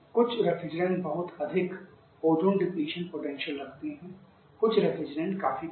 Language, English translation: Hindi, Different refrigerants has different kind of ozone depletion potential